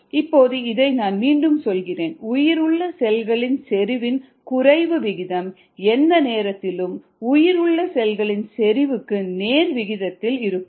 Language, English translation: Tamil, now let me repeat this: the rate of decrease of viable cell concentration is directly proportional to the viable cell concentration present at any time